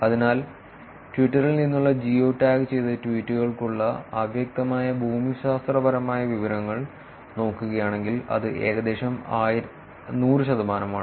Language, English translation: Malayalam, So, if you look at the unambiguous geographic information for geo tagged tweet from Twitter it is about 100 percent